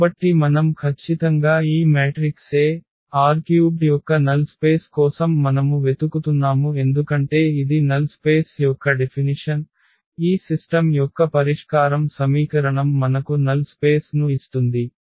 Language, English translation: Telugu, We are looking for the null space of this null space of this matrix A because that was the definition of the null space that all the I mean the solution of this system of equation gives us the null space